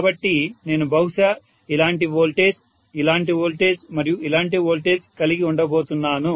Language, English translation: Telugu, So I am going to have maybe a voltage like this, voltage like this and voltage like this